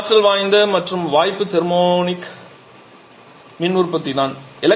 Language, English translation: Tamil, Another quite potent option is thermionic power generation